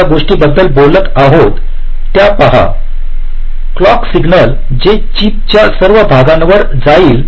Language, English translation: Marathi, see one thing: we are talking about the clock signal which is going to all parts of the chip